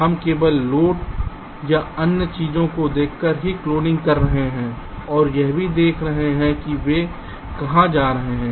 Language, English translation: Hindi, we are doing cloning not just by looking at the loads or other things, and also we are looking where they are going